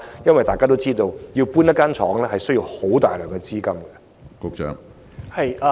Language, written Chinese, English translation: Cantonese, 因大家都知道，遷移工廠需要大量資金。, As we all know a large amount of capital is required for the relocation of factory operations